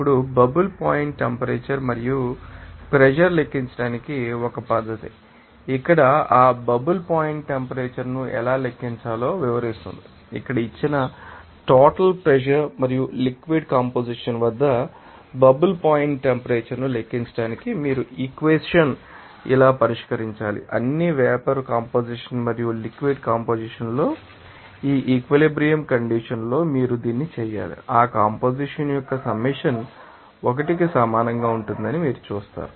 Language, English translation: Telugu, Now, method to calculate the bubble point temperature and pressure, how to calculate that bubble point temperature here will describe that here to calculate the bubble point temperature at a given total pressure and liquid composition, you have to solve this equation like this, all you have to do that at that equilibrium condition in the vapor composition and you know that liquid composition you will see that summation of that you know composition will be equal to 1